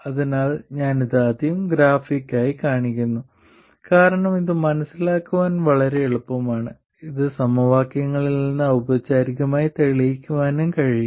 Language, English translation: Malayalam, So, I first show this graphically because it is very easy to understand, it can also be proved formally from the equations